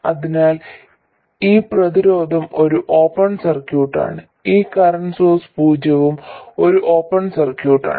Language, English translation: Malayalam, So, this resistance is an open circuit and this current source is 0 also an open circuit